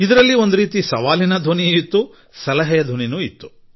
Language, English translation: Kannada, " In a way it had a tone of challenge as well as advice